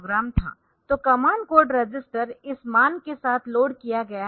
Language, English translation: Hindi, So, command port register is loaded with this value, this statement